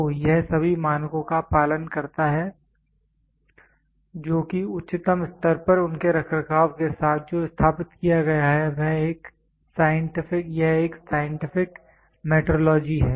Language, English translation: Hindi, So, it follows all the standard what is established with their maintenance at the highest level is a scientific metrology